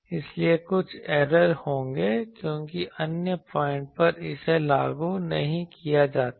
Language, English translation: Hindi, So, there will be some errors because at other points it is not enforced